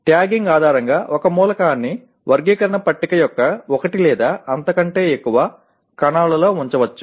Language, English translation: Telugu, Based on the tagging an element can be located in one or more cells of the taxonomy table